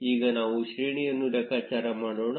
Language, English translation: Kannada, Now let us compute the page rank